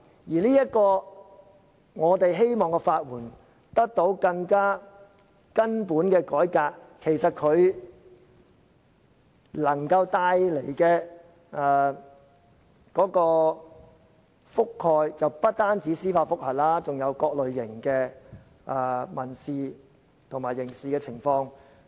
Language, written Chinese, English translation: Cantonese, 而我們希望法援制度得到更根本的改革，能夠覆蓋不單司法覆核個案，還有各類型的民事和刑事訴訟。, This should be the focus of our debate . We want a fundamental revamp of the legal aid system to extend its coverage to not only judicial review cases but also civil and criminal proceedings